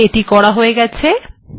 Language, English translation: Bengali, Alright, it is done